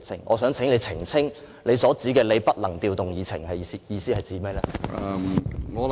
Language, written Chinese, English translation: Cantonese, 我想請你澄清，你所指的你不能調動議程是甚麼意思？, I would like to ask you to elucidate why you said that the order of agenda items cannot be rearranged